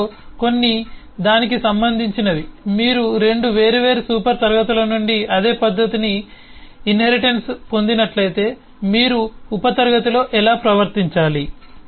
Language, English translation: Telugu, some of them relate to that if you inherit the same method, the same behaviour from 2 different super classes, then how should you behave in the sub class, and so on